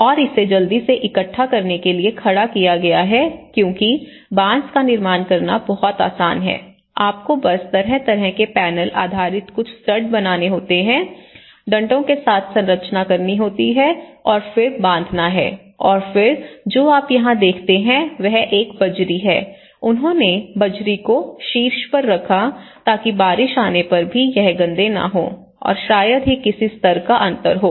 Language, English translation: Hindi, And it has quickly erected to make assemble because it is very easy to build bamboo, you just have to make kind of panel based and make some studs, make the structure with the poles and then tie up and then what you see here is this is a gravel you know the gravel, they put the gravel on the top so that even if the rain comes it does not become dirty and because there is hardly any level difference